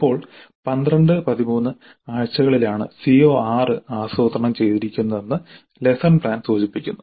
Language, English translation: Malayalam, Now lesson plan indicates that CO6 is planned for weeks 12 and 13